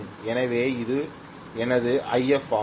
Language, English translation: Tamil, So this is going to be my IF okay